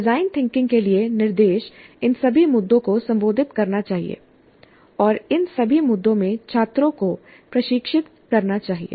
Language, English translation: Hindi, So instruction for design thinking must address all these issues and train the students in all of these issues